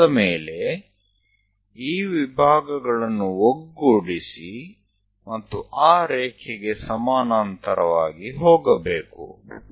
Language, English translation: Kannada, Once it is done, join these divisions, one go parallel to that line